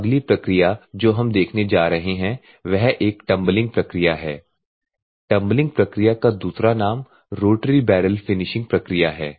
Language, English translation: Hindi, So, next one we are going to see is a Tumbling process; if you see the tumbling the other name for tumbling process is a Rotary Barrel Finishing process